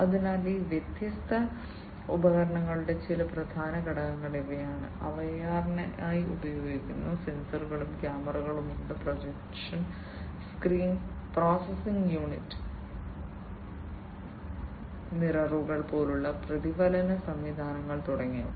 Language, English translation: Malayalam, So, these are some of the key components of these different devices, that are used for AR, there are sensors and cameras, projection screen, processing unit, reflection systems like mirrors etcetera